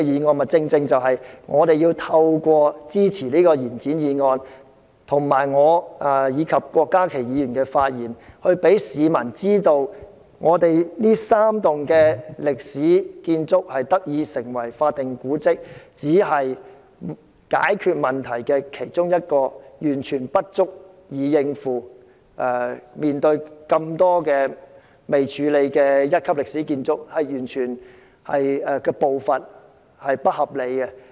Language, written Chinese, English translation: Cantonese, 我們正正要透過支持這項延展議案，以及我和郭家麒議員的發言，讓市民知道，本港這3幢歷史建築物得以成為法定古蹟，只是解決了問題的一小部分，完全不足以應付眾多未處理的一級歷史建築物，政府處理的步伐完全不合理。, By supporting this motion as well as through Dr KWOK Ka - kis speech and mine we let the public know the fact that declaring these three historic buildings as statutory monuments will only resolve a small part of the issue which is totally inadequate to deal with the grading exercise of a large number of Grade 1 historic buildings . The Governments pace is totally unacceptable